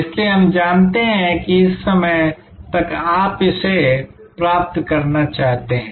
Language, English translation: Hindi, So, that we know that by this time you want to achieve this, this, this